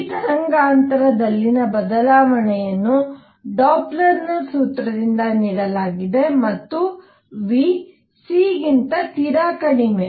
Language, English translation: Kannada, Now change in the wavelength is given by Doppler’s formula and v is much much less than c